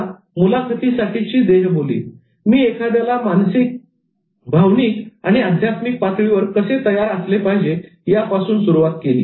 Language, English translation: Marathi, Now, body language for interviews, I started with preparing one at mental, emotional and spiritual levels